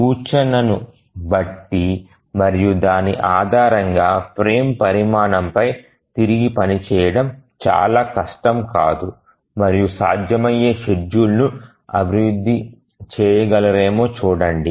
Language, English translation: Telugu, Just given the indication and based on that it don't be really very difficult to again rework on the frame size and see that if a feasible schedule can be developed